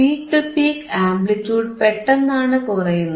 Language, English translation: Malayalam, sSuddenly you see the peak to peak amplitude is getting decreased